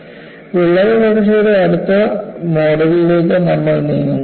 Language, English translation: Malayalam, Then, we move on to the next model of crack growth